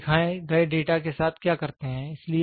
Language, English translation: Hindi, So, what do we do with the shown data